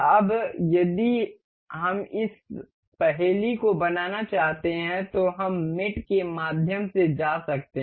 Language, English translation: Hindi, Now, if we want to mate this this puzzle, we can go through mate